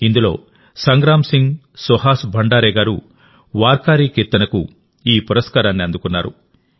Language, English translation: Telugu, On the other hand, Sangram Singh Suhas Bhandare ji has been awarded for Warkari Kirtan